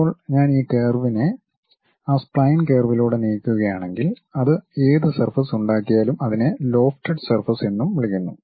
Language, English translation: Malayalam, Now, if I really move this curve along that spine curve, whatever the surface it makes that is what we call lofted surface also